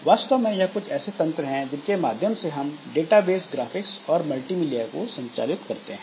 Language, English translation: Hindi, So, these are actually some mechanism by which you can handle database, graphics and this multimedia and all